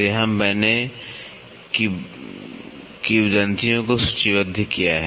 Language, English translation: Hindi, So, here I have listed the legends